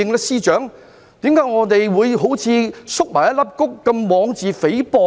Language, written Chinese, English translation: Cantonese, 司長，為何我們會縮起如一粒穀般，妄自菲薄呢？, Chief Secretary why did we huddle up and belittle ourselves?